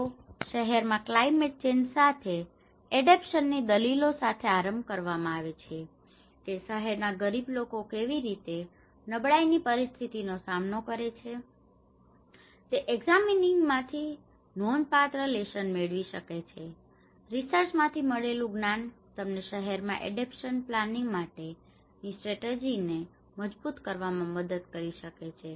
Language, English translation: Gujarati, They research work adaptation to climate change in cities has been initiated with the argument that significant lessons can be drawn from examining how the urban poor are coping with conditions of increased vulnerability, knowledge gained from the research can help to strengthen strategies for adaptation planning in cities